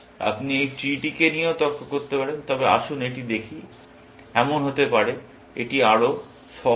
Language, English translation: Bengali, You can argue this tree also, but let us look at this, may be, this is simpler